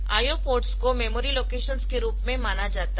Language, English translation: Hindi, So, I O ports are treated memory locations